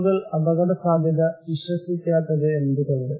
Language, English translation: Malayalam, Why people are not believing risk